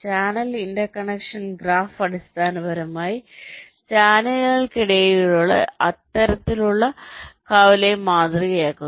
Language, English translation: Malayalam, the channel intersection graph basically models this kind of intersection between the channels right